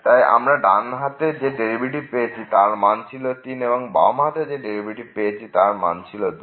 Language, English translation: Bengali, So, in this case the left derivative is 2 and the right derivative is minus 1